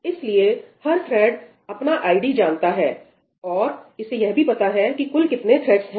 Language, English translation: Hindi, So, each thread will know its id, right, and it will know the total number of threads